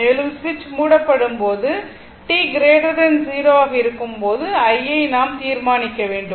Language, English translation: Tamil, And you have to determine i for t greater than 0 when the switch is closed, right